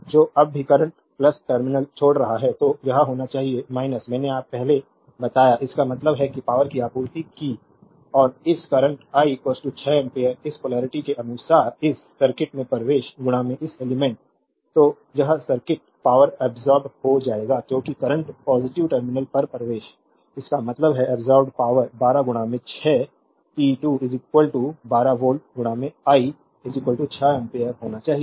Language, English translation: Hindi, So, whenever current is leaving plus terminal it should be minus I told you earlier; that means, power supplied right and this current I is equal to 6 ampere according to this polarity, entering into this circuit into this element right therefore, it this circuit will absorbed power because current entering at the positive terminal; that means, power absorbed should be 12 into 6 p 2 is equal to 12 volt into I is equal to 6 ampere